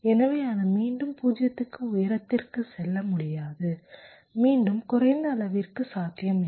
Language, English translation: Tamil, so it cannot go to zero again to high, again to low